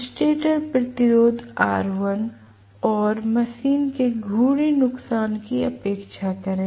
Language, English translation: Hindi, Neglect stator resistance r1 and rotational losses of the machine